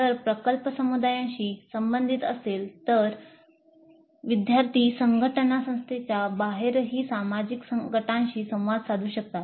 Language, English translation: Marathi, If the project is related to the community, the student teams may be interacting with social groups outside the institute as well